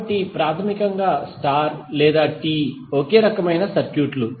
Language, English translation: Telugu, So basically the star or T are the same type of circuits